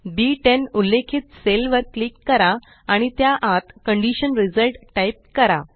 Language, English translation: Marathi, Lets click on the cell referenced as B10 and type Condition Result inside it